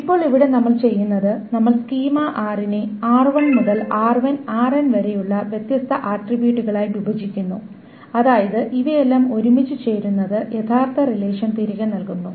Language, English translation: Malayalam, Now here what we are doing is that we are breaking up the schema capital R into different sets of attributes R1 to RN such that the join of all of these together gives back the actual the original relation